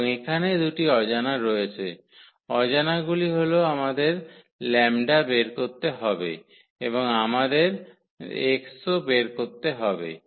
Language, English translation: Bengali, And, there are two unknowns here, the unknowns are the lambda we need to compute lambda and also we need to compute x